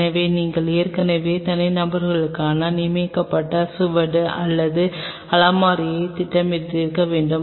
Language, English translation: Tamil, So, you should have already planned a designated trace or shelf for individuals